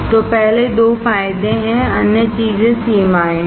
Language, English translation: Hindi, So, first 2 are the advantages other things are the limitations